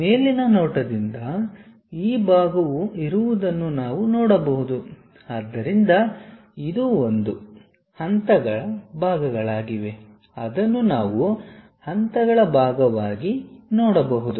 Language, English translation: Kannada, From top view we can see that, this part is present so this one, these are the parts of the steps which we can see it part of the steps